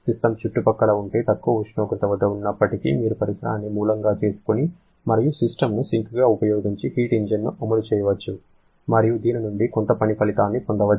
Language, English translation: Telugu, Even when the system is at a temperature lower than the surrounding, then you can run a heat engine using the surrounding as a source and the system as the sink and get some work output from this